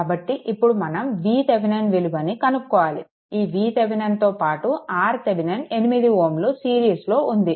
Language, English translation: Telugu, So, let me clear it So, next is this that means, this is your V Thevenin, this is your V Thevenin with that R Thevenin is there in series 8 ohm